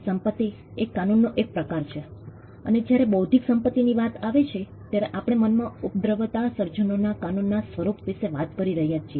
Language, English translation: Gujarati, Property is a form of regulation, and when it comes to intellectual property, we are talking about a form of regulation of creations that come out of the mind